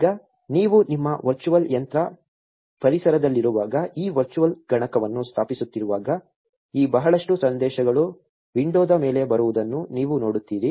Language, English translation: Kannada, Now, while you are installing this virtual machine while you are in your virtual machine environment, you will see a lot of these messages coming up on top of the window